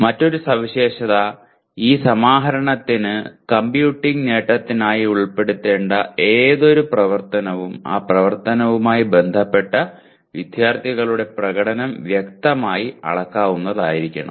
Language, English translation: Malayalam, And another feature is for again for this aggregation any activity to be included for computing attainment, the performance of the students related to that activity should be unambiguously measurable